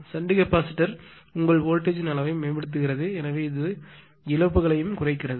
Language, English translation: Tamil, But otherwise that shnt capacitor also improves the your voltage level, so it also reduces the losses